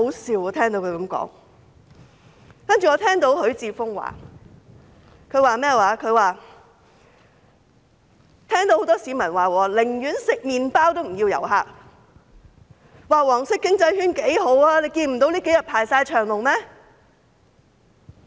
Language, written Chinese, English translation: Cantonese, 此外，我聽到許智峯議員指出，很多市民說寧願吃麵包也不要旅客，說"黃色經濟圈"的市道很好，這數天大排長龍。, Besides I heard Mr HUI Chi - fung point out that many people rather have only bread to eat than have tourists . He also said the yellow economic circle is doing great with long queues these few days